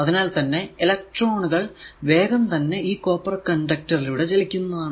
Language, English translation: Malayalam, So, electrons actually readily move through the copper conductor, but not through the plastic insulation